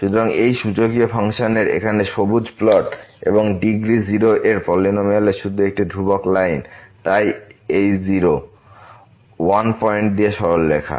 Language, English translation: Bengali, And if we plot this, so this is the green plot here of the exponential function and this polynomial of degree 0 is just a constant line; so the straight line going through this point